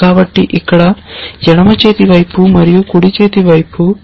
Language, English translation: Telugu, So, here on the left hand side followed by the right hand side here